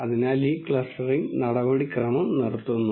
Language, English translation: Malayalam, So, this clustering procedure stops